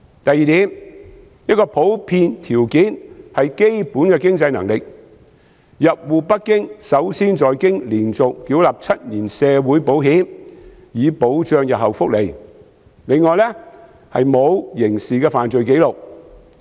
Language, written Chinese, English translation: Cantonese, 第二點，一個普遍條件是基本的經濟能力：入戶北京首先要在北京連續繳納7年社會保險，以保障日後福利；另外，沒有刑事犯罪紀錄。, Secondly a general condition is the basic financial capability . In order to get household registration in Beijing one must first have paid social insurance for seven consecutive years so as to ensure future welfare . In addition the applicant should have no criminal record